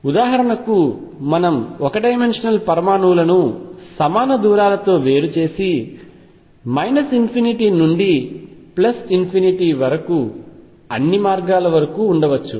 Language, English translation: Telugu, We can also have for example, one dimensional atoms separated by equal distances going all the way from minus infinity to infinity